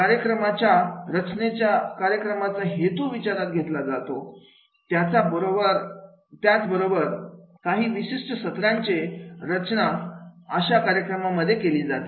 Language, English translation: Marathi, Program design includes considering the purpose of the program as well as designing specific lessons within the program